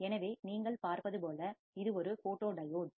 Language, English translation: Tamil, So, this is a photodiode as you can see